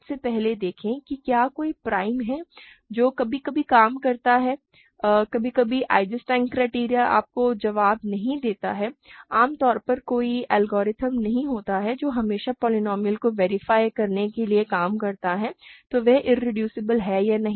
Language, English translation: Hindi, First, see if there is a prime that works sometimes it does not, sometimes Eisenstein criterion does not give you the answer; in general there is no algorithm which always works to verify a polynomial is irreducible or not